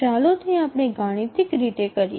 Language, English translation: Gujarati, Now, let's do it mathematically